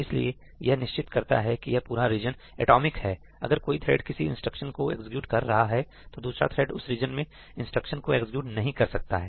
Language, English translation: Hindi, So, it ensures that this entire region is atomic; that no other thread can be executing these instructions while one thread is executing these instructions